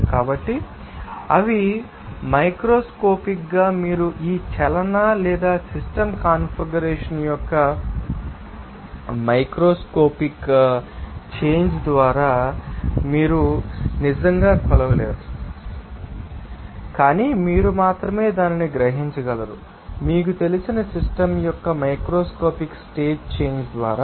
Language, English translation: Telugu, So, they are then microscopically you can say that because of this microscopic change of this motion or system configuration you will see that there will be a change of entropy and that entropy you cannot actually measure by that microscopic change, but only you can realize it by the macroscopic state change of that you know system